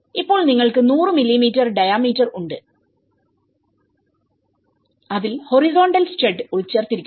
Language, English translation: Malayalam, So, now you have the 100 mm diameter and it has embedded the horizontal stud is embedded within it